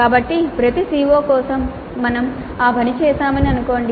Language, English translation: Telugu, So, assume that we have done that for every CO